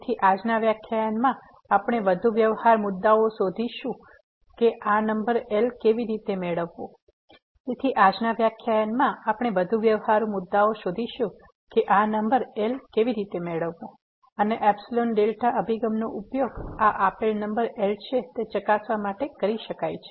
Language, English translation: Gujarati, So, in today’s lecture we will look for more practical issues that how to get this number and the epsilon delta approach may be used to verify that this given number is